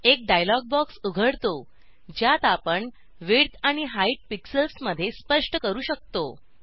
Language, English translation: Marathi, A dialog box opens, where we can specify the width and height dimensions, in pixels